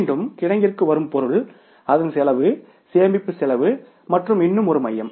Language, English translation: Tamil, Material coming to the warehouse again it has the cost storage cost and that is a one more center